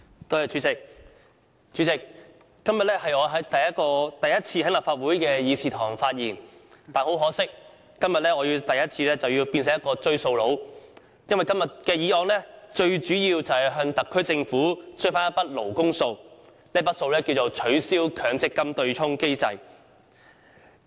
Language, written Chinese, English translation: Cantonese, 代理主席，今天我首次在立法會議事堂發言，可惜卻要化身為"追數佬"，就本議案向特區政府追討一筆"勞工數"，務求令政府落實取消強制性公積金對沖機制。, Deputy President today is the first time I am making a speech in the Chamber of the Legislative Council . Unfortunately I have to play the debt collector to recover a debt the SAR Government owed workers in respect of the present motion that is to urge the Government to abolish the offsetting mechanism of the Mandatory Provident Fund MPF System